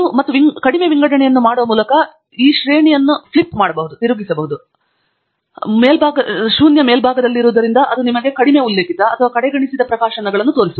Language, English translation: Kannada, And you can also flip this sorting by making the lowest citations, namely zero, to be on the top, because that shows you what are the least referred or ignored publications